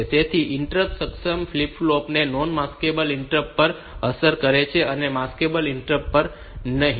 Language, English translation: Gujarati, So, the interrupt enable flip flop has got effect on non maskable interrupt and not on the maskable interrupt